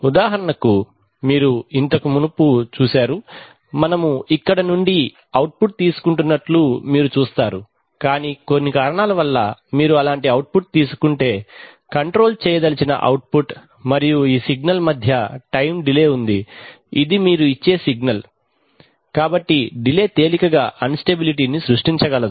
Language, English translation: Telugu, For example, you see previously, you see that we were taking the output from here, but for some reason if you take an output from such that, there is a time delay between this signal which is the output you want to control and this signal which is the signal you are feeding back, so there is a delay of let us say T seconds then in that case that delay can easily generate instability